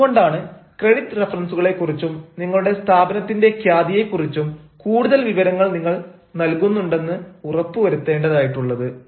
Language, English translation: Malayalam, that is why what you need to do is you also need to assure them that you can provide some additional information about the credit references and about, ah, the reputation of their company, so that the credit is granted